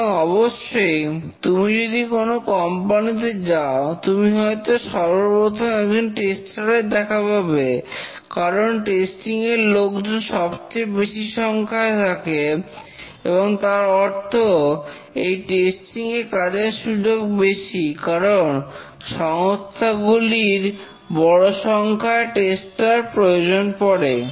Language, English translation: Bengali, And of course that means that if you walk into a company, you are more likely to meet a tester because number of testers are much more than other roles, which also implies that more job opportunities in testing because the companies need large number of testers